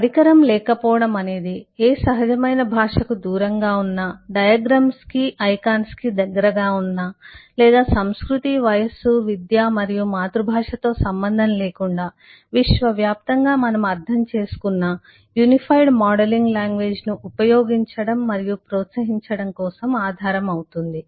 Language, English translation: Telugu, and this wil be the basis for the lack of instrument, is the basis for designing, using and promoting the unified modeling language, which is far away from any natural language, its very close to diagrams, diagrams, icons or what we understand universally, irrespective of culture, age, education and our mother tongue